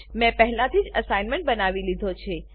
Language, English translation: Gujarati, I have already created the assignment